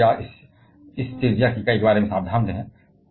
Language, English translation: Hindi, So, please be careful about the unit of this radius